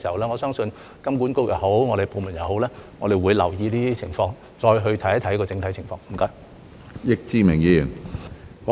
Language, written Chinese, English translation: Cantonese, 我相信金管局或我們部門檢視這些問題時，也會留意這些情況，再去看看整體情況。, I believe that when HKMA or our department examines these questions they will also pay attention to these circumstances and then look at the overall situation